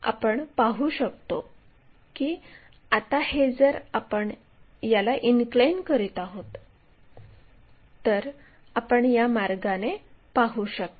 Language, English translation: Marathi, Now, this one if we are going to make an inclination and that you can see it in that way